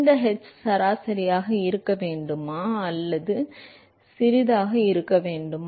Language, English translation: Tamil, This h should be average or local